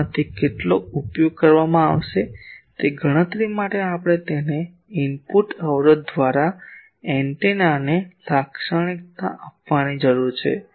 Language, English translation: Gujarati, How much of that will be used for that calculation we need to characterize the antenna by its input impedance